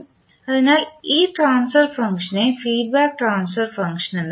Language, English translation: Malayalam, So this particular transfer function is called feedback transfer function